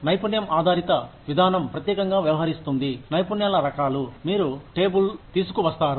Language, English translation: Telugu, Skill based approach deals specifically with, the kinds of skills, you bring to the table